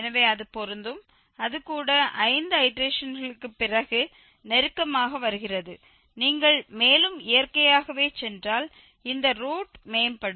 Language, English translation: Tamil, 20 something so it is matching it is getting closer to this after even five iterations, if you go further naturally this root will improve